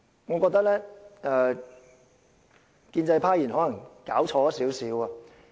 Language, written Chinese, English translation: Cantonese, 我覺得建制派議員可能弄錯了甚麼。, I think pro - establishment Members may be wrong about something